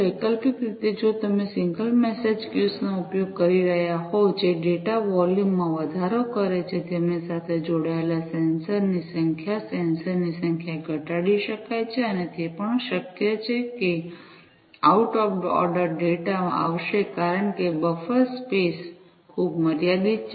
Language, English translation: Gujarati, Alternatively, if you are using single message queues, that increases the data volume, the number of sensors that are connected to them, the number of sensors could be reduced, and it is also possible that out of order data will come because the buffer space is very limited